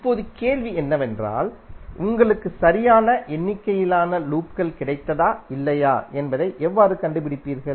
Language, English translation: Tamil, Now the question would be, how you will find out whether you have got the correct number of loops or not